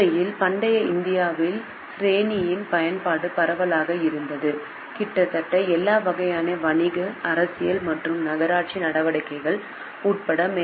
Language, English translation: Tamil, In fact, the use of straining in ancient India was widespread including virtually every kind of business, political and municipal activity